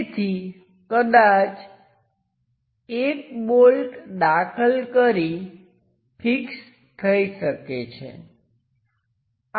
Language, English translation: Gujarati, So, perhaps one bolt can be inserted and tightened